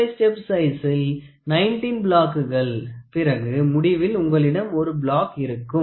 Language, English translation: Tamil, 5 you have 19 blocks and then finally, you have 1